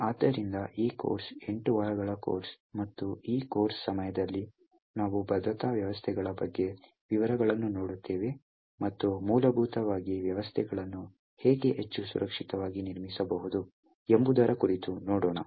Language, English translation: Kannada, So, this course is an eight week course and, during this course we will actually look at details about, aspects about security systems, and essentially will look at aspects about how systems can be built to be more secure